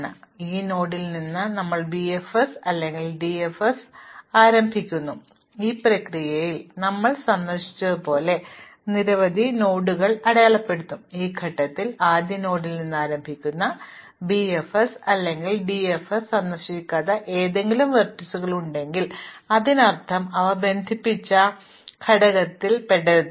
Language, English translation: Malayalam, Now, we run BFS or DFS from this node and in this process we will mark a number of nodes as visited, at this point if there are any vertices which are not visited by BFS or DFS starting from the first node, this means that they do not belong to the same connected component